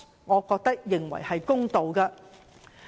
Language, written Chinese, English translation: Cantonese, 我覺得這樣做才公道。, I think it will be fair only if it is done this way